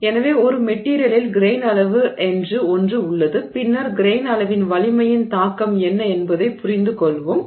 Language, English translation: Tamil, So, there is something called a grain size in a material and then we will get a sense of what is the effect of the grain size on the strength